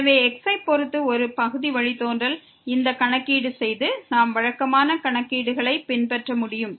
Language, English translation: Tamil, So, just doing this calculation for a partial derivative with respect to , we can just follow the usual calculations